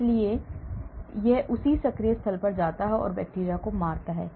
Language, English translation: Hindi, so it goes and binds to the same active site and kills the bacteria